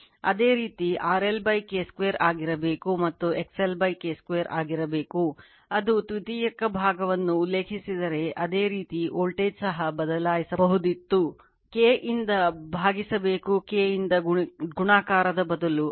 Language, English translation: Kannada, Similarly you should have been your R L upon K square and you should have been X L upon K square if it is refer to the your secondary side, similarly voltage also would have been changed, right you should have been you are divided by K instead of multiplication of K, right